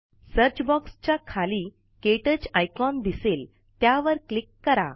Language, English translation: Marathi, The KTouch icon appears beneath the Search box.Click on it